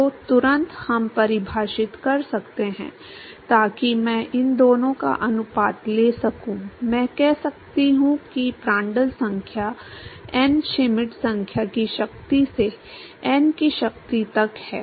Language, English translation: Hindi, So, immediately we could define so I could take a ratio of these two, I can say Prandtl number to the power of n Schmidt number to the power of n